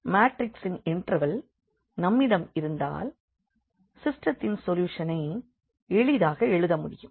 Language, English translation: Tamil, So, if we have the inverse of a matrix we can easily write down the solution of the system